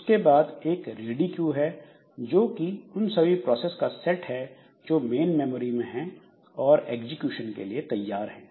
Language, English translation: Hindi, Then there is a ready queue which is the set of all processes residing in the main memory and ready for execution